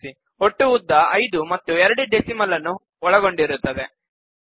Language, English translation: Kannada, Notice that the total length is five, inclusive of the two decimal places